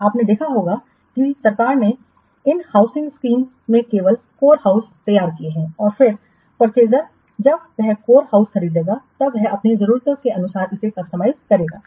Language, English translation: Hindi, You can have seen just government what does in this housing schemes, they prepare only core houses and then the purchaser when he will purchase the core house, then he will what customize it according to his needs